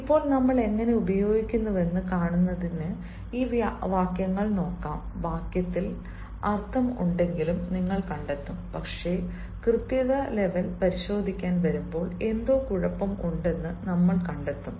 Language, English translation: Malayalam, now, in order to see how we use, let us look at these sentences and you will find ah that even though the sentence means, even though meaning is there in the sentence, but when we come to check the correctness level, we will find that something is wrong